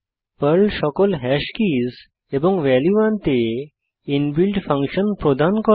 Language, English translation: Bengali, Perl provides inbuilt function to fetch all the hash keys and values